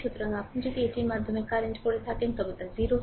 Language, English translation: Bengali, So, if you make it current through this is 0 right